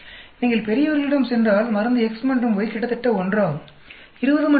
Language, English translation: Tamil, And if you go the old age, drug X and Y are almost same 20 and 30